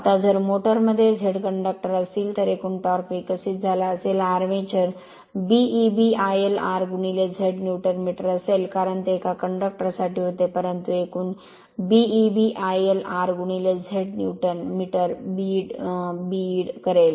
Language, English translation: Marathi, Now, if the motor contains Z conductors the total torque developed by the armature will be B I l r into Z Newton meter, because that was for one conductor, but total will be B I l r into Z Newton meter